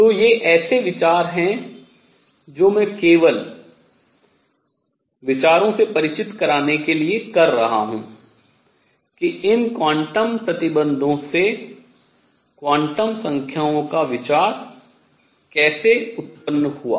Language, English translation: Hindi, So, these are ideas I am just doing it to introduce to the ideas, how the idea of quantum numbers arose from these quantum conditions and these are going to lead us to understand the quantum nature better and better